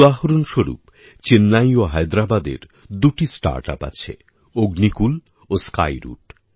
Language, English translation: Bengali, For example, Chennai and Hyderabad have two startups Agnikul and Skyroot